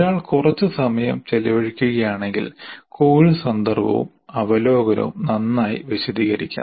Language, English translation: Malayalam, If one spends a little time, it can be nice, the course context and over you can be nicely explained